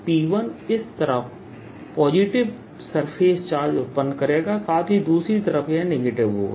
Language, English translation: Hindi, p one would produce surface charge on this side as well as on this side